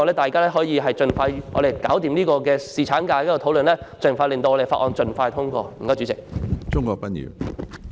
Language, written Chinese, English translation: Cantonese, 大家不如盡快完成有關侍產假的討論，並盡快通過《條例草案》。, Let us expeditiously finish the discussion on paternity leave and pass the Bill